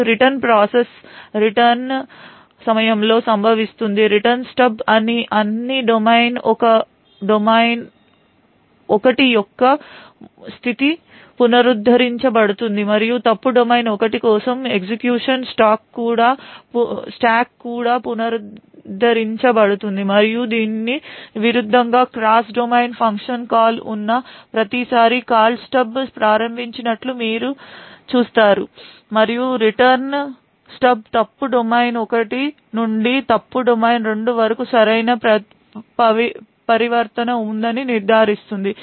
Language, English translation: Telugu, Now the reverse process occurs during the return, in the Return Stub the state of all domain 1 is restored and also the execution stack for fault domain 1 is restored, so you see that every time there is a cross domain function call invoked the Call Stub and the Return Stub would ensure that there would there is a proper transition from fault domain 1 to fault domain 2 and vice versa